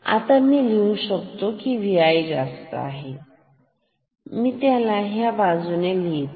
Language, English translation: Marathi, So, from this I can write that V i has to be greater than I bring this on that side